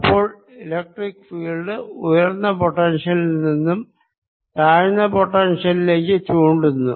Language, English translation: Malayalam, the electric field would be pointing exactly the other way, so electric field points from higher to lower potential